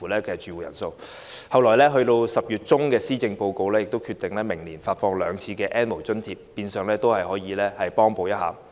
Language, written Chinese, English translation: Cantonese, 其後，行政長官在10月中發表的施政報告中決定，明年將發放兩次 "N 無人士"津貼，變相可以幫補一下。, Subsequently the Chief Executive decided in her Policy Address presented in mid - October that two rounds of subsidy for the N have - nots would be launched next year which may help them in some measure